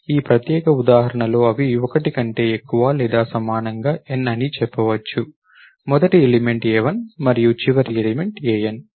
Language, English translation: Telugu, In this particular example, those will illustrate let us say n greater than or equal to 1, first element is a1 and last element is an